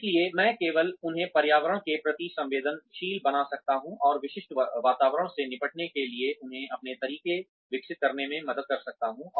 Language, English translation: Hindi, So, I can only make them sensitive to the environment, and help them devise their own ways, of dealing with specific environments